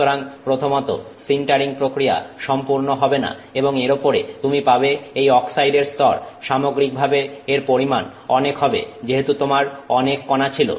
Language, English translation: Bengali, So, first of all the sintering process is not going to be complete and on top of it you have this oxide layer which is there in significant quantity overall because you have so many fine particles